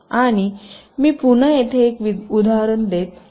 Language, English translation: Marathi, let here i am giving an example again